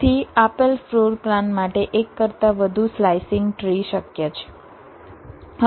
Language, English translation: Gujarati, so for a given floor plan there can be more than one slicing trees possible